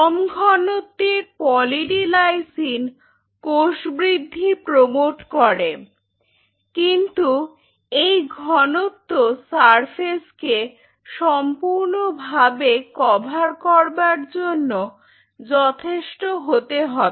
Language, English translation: Bengali, Poly D Lysine at a fairly low concentration does promote cell growth, but good enough to make an almost like the surface coverage should be full